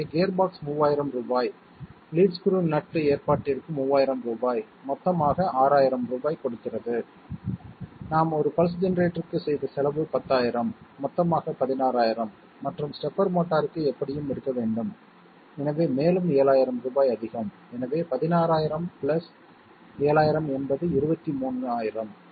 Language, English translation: Tamil, So 3000 rupees here gearbox, 3000 rupees for the lead screw nut arrangement gives us 6000 rupees together with that 10,000 that we incurred for a pulse generator, 16,000 and the separate motor you have to take it anyway, so 7000 more, 16,000 + 7000 is 23000